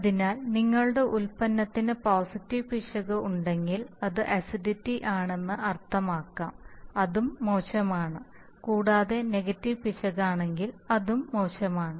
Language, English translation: Malayalam, So if your product is, has positive error which might mean that it is acidic then also it is bad and if it is negative error then also it is bad, and in this case positive error does not cancel negative error